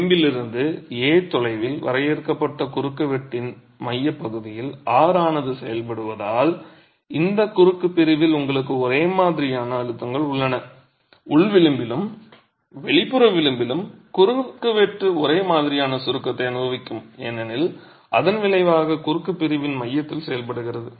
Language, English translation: Tamil, And since the resultant are acts at the center of the cross section defined at a distance a from the edge you have uniform compressive stresses in this cross section yes at the inner edge and in the outer edge the cross section is going to experience uniform compression simply because the resultant is acting at the center of the cross section